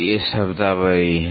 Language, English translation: Hindi, These are the terminologies